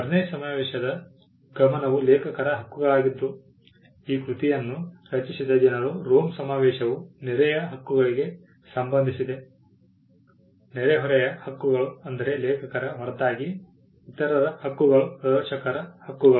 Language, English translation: Kannada, While the focus of the Berne convention was rights of the authors the people who created the work, the Rome convention pertain to neighbouring rights; neighbouring rights meaning the rights of those other than the authors say the performer’s rights